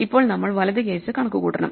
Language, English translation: Malayalam, Now we have to compute the right case